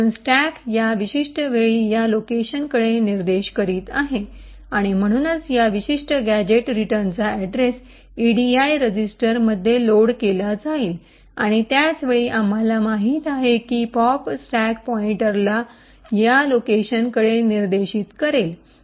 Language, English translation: Marathi, So the stack is at this particular time pointing to this location and therefore the address of this particular gadget return is loaded into the edi register and at the same time as we know the pop would increment the stack pointer to be pointing to this location